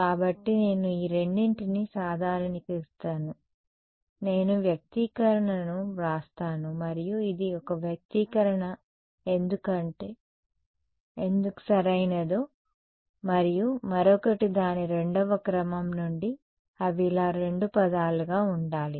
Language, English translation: Telugu, So, I generalize these two I will just write the expression and then we can work it out later why this is correct one expression and another since its 2nd order they will have to be two terms like this